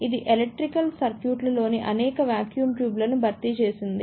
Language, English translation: Telugu, It has replaced many of the vacuum tubes in electronic circuits